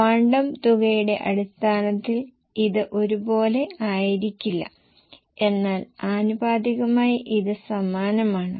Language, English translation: Malayalam, Quantum amount wise it won't be same but proportionately it is same